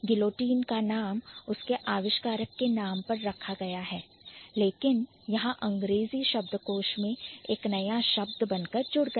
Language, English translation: Hindi, So, guillotine has been named after its inventor, but it became a word, it became a new word in English lexicon